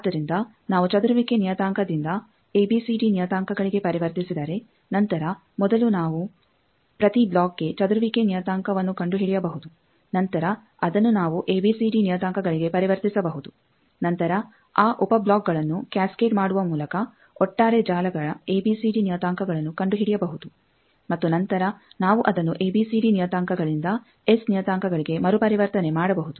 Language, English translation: Kannada, So, if we convert from scattering parameter to ABCD parameter then we can find for each block first the scattering parameter, then we can convert to ABCD parameter then find the overall networks ABCD parameter by cascading those sub blocks and then we can reconvert back from ABCD parameter to S parameter, so that the overall S parameter of the whole network will be able to find